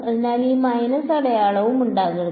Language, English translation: Malayalam, So, there should not be any minus sign